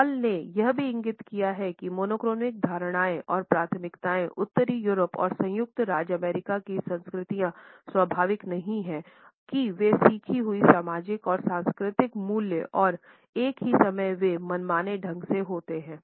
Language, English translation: Hindi, Hall has also pointed out that the monochronic perceptions and preferences in the cultures of Northern Europe and the USA are not natural they are learnt social and cultural values and at the same time they happen to be arbitrary